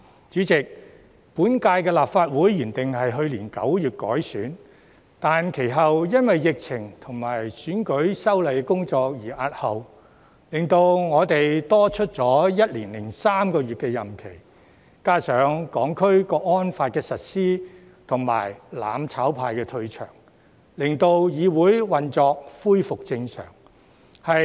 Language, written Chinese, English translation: Cantonese, 主席，本屆立法會原定於去年9月改選，但其後因為疫情及選舉法例的修訂工作而押後，令我們多了1年零3個月任期，加上《香港國安法》實施及"攬炒派"退場，令議會運作恢復正常。, President the Legislative Council Election was originally scheduled for September last year but subsequently postponed due to the pandemic and the legislative amendment exercise relating to the electoral legislation . This has thus resulted in an extension of our term of office by one year and three months which when coupled with the implementation of the Hong Kong National Security Law and the departure of the mutual destruction camp enables the legislature to resume normal operations